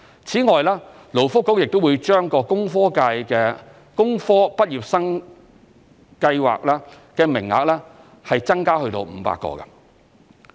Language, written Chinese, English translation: Cantonese, 此外，勞工及福利局亦會把工科畢業生訓練計劃的名額增至500個。, Moreover the Labour and Welfare Bureau will increase the quota of the Engineering Graduate Training Scheme to 500